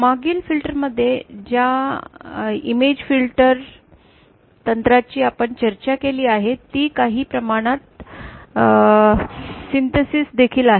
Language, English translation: Marathi, The image filter technique that we are discussed in the previous class they are also to some extent synthesis